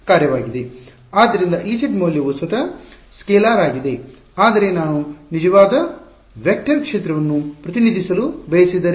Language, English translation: Kannada, So, there is a value of E z is itself a scalar, but what if I wanted to do represent a true vector field